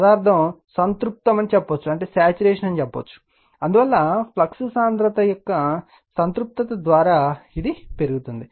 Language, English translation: Telugu, The material is said to be saturated, thus by the saturations flux density that means, this you are increasing